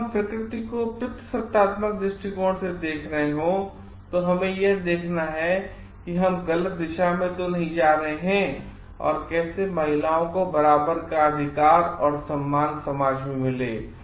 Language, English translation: Hindi, Which is looking at nature from the patriarchal lens and with their we need to see where we are going wrong and how like women who have a equal right, and equal respect in the society